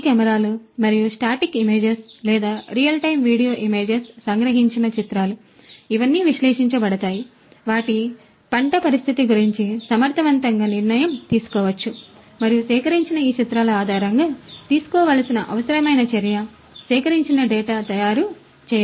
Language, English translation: Telugu, These cameras and the images that are captured either the static images or the real time video images, all of these could be analyzed and you know effective decision making about their the crop condition and that the requisite action that has to be taken based on these collected images the collected data could be made